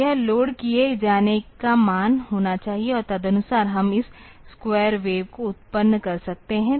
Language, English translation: Hindi, So, this should be the value to be loaded and accordingly we can have this square wave generated